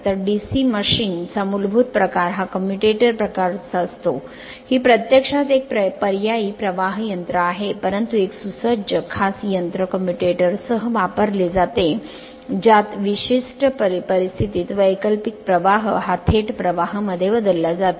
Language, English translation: Marathi, So, basic type of DC machine is that of commutator type, this is actually an your alternating current machine, but furnished with a special device that is called commutator which under certain conditions converts alternating current into direct current right